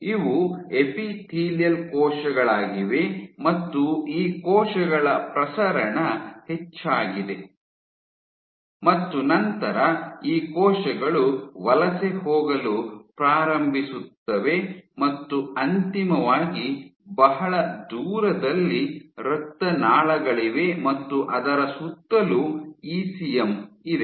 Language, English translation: Kannada, So, these are your epithelial cells and you have increased proliferation of these cells and then these cells try to start to migrate and eventually very far off you would have the vasculature, and in and around you have the ECM